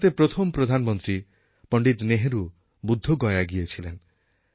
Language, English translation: Bengali, Pandit Nehru, the first Prime Minister of India visited Bodh Gaya